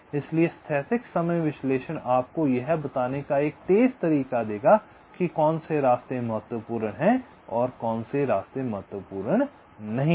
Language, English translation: Hindi, so static timing analysis will give you a quick way of telling which of the paths are critical and which are not right